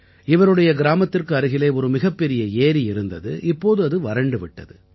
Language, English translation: Tamil, Close to her village, once there was a very large lake which had dried up